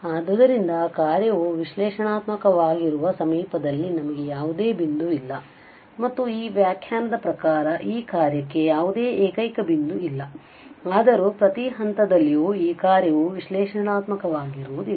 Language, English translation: Kannada, So, we do not have some point in the neighbourhood where the function is analytic, and therefore, according to this definition itself there is no singular point for this function though every point, at every point this function is not analytic